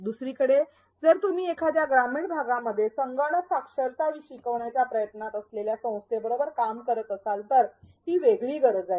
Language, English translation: Marathi, On the other hand, if you are working with an organization that is trying to teach computer literacy in a rural area, it is a different need